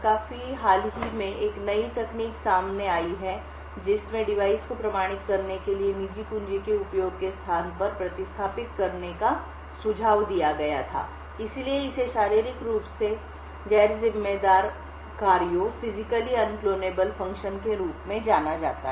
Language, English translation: Hindi, Quite recently there has been a new technique which was suggested to replace the use of private keys as a mean to authenticate device, So, this is known as Physically Unclonable Functions